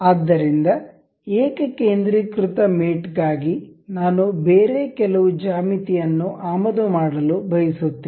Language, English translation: Kannada, So, for concentric mate I would like to import some other geometry